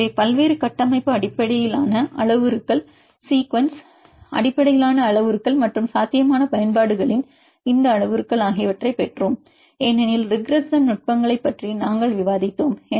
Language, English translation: Tamil, So, we derived various structure based parameters, sequence based parameters and these parameters of potential applications because we discussed about regression techniques right